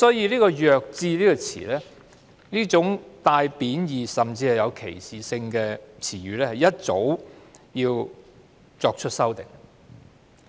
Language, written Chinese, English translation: Cantonese, 所以，"弱智"這種帶有貶意甚至是歧視性的詞語，其實早應作出修訂。, Therefore the term mentally handicapped which carries derogatory and even discriminatory connotations should have been amended a long time ago